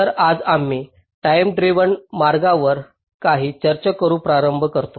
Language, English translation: Marathi, so today we start with some discussion on timing driven routing